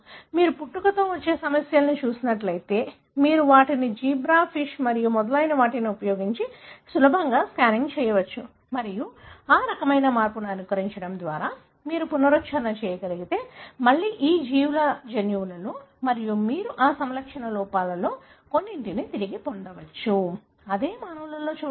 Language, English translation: Telugu, If you are looking at congenital problems, you can easily screen them using zebra fish and so on and if you can recapitulate by mimicking that kind of a change, again in the genome of these organisms and you can recapitulate some of those phenotype defects that you see in humans